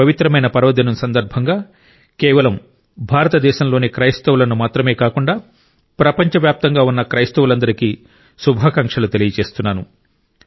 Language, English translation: Telugu, On this holy and auspicious occasion, I greet not only the Christian Community in India, but also Christians globally